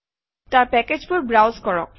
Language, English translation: Assamese, In that, browse packages